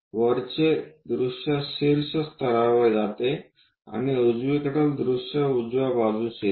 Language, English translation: Marathi, top view goes to top level and right side view comes to right hand side